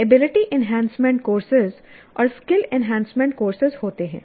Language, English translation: Hindi, And there are what are called ability enhancement courses and skill enhancement courses